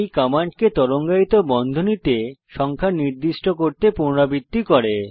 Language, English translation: Bengali, This repeats the commands within the curly brackets the specified number of times